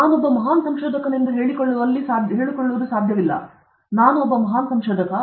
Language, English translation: Kannada, We cannot keep on claiming that I am a great researcher; I am a great researcher